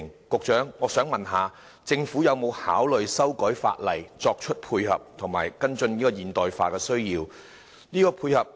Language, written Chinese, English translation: Cantonese, 局長，我想問政府有否考慮修改法例作出配合，以及跟進現代化的需要？, Secretary has the Government ever considered amending the legislation concerned so as to provide support and keep pace with modern developments?